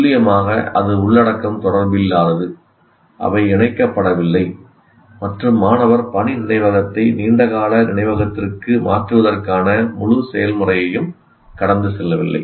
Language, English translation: Tamil, That is precisely because the content is not related, they are not connected, and the student hasn't gone through the entire process of transferring working memory to the long term memory